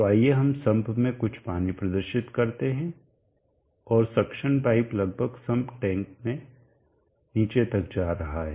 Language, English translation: Hindi, So let us indicate some water in the sum and the suction pipe is going almost to the bottom of the sum tank